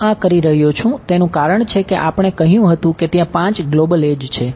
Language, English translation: Gujarati, The reason I am doing this is because we said there are 5 global edges